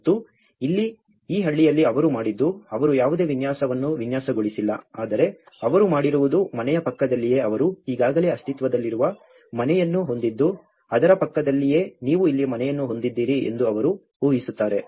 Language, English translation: Kannada, And here, in this village what they did was they have not designed any layout but what they did was just adjacent to the house where they already have an existing house just adjacent to it they have like imagine you have a house here, so adjacent to it they have built it